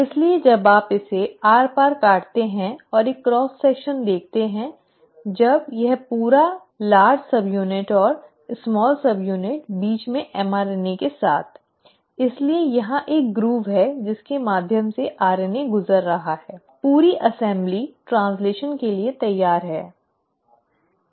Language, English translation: Hindi, So when you cut it across and see a cross section, when this entire large subunit and the small subunit along with mRNA in between; so there is a groove here in, through which the RNA is passing through, you, the whole assembly is ready for translation